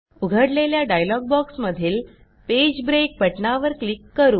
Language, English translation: Marathi, In the dialog box which appears, click on the Page break button